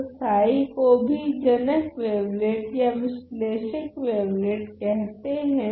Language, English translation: Hindi, So, psi is also called the mother wavelet or the analyzing wavelet